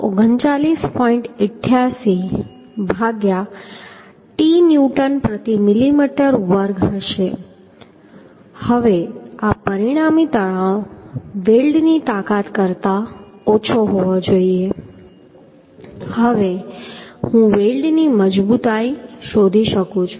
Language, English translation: Gujarati, 88 by t newton per millimetre square now this resultant stress has to be less than the weld strength now strength of weld I can find out